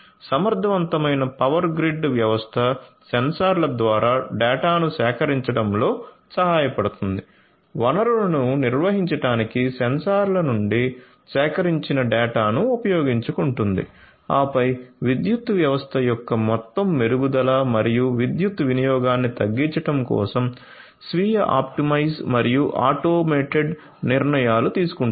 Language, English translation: Telugu, So, efficient power grid system would help in collecting the data through the sensors, use the data that are collected from the sensors to manage the resources and then optimize self optimize and take automated decisions for overall improvement of the power system and reduction of power usage